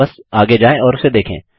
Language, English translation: Hindi, Just go ahead and watch it